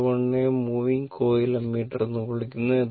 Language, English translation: Malayalam, A 1 is called moving coil ammeter